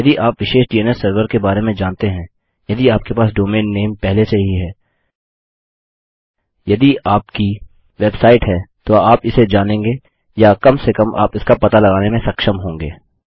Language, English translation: Hindi, If you know a specific DNS Server, if you have a domain name already, if you have a website you will know it or you will be able to find it, at least